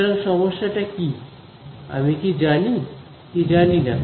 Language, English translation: Bengali, So, what is a problem, what do I know, what do I not know